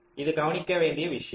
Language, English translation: Tamil, right, this is the point to note